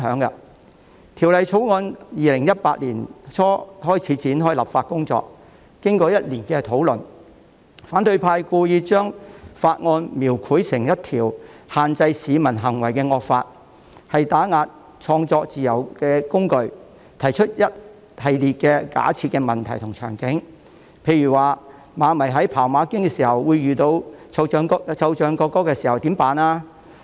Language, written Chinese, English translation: Cantonese, 當局在2018年年初展開《條例草案》的立法工作，經過1年的討論，反對派故意將《條例草案》描繪成一項限制市民行為的惡法，是打壓創作自由的工具，更提出一系列假設問題和場景，例如馬迷看馬經的時候遇到奏唱國歌，應該怎麼辦呢？, The authorities kick - started the legislative process of the Bill in early 2018 . After a year of discussion the opposition camp has deliberately depicted the Bill as a draconian law imposing restrictions on the behaviour of the public which is a tool to suppress the freedom of creativity . They have even raised a lot of hypothetical questions and scenarios